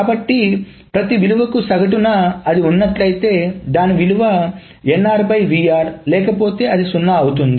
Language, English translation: Telugu, So roughly on an average for every value this is NR if it exists otherwise it is 0